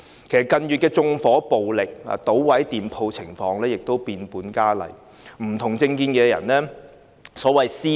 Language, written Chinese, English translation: Cantonese, 其實縱火暴力、搗毀店鋪的情況在近月變本加厲，更會對持不同政見的人作出所謂"私了"。, In fact acts of arson violence and smashing shops have escalated in recent months . They even mobbed and beat people holding different political views